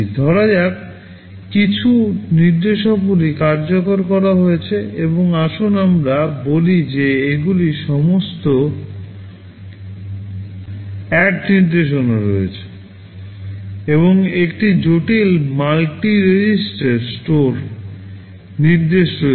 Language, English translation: Bengali, Suppose, there are some instructions that are executed and let us say these are all ADD instructions, and there is one complex multi register store instruction